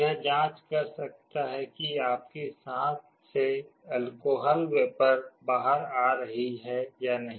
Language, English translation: Hindi, It can check whether your breath that is coming out contains means alcohol vapor or not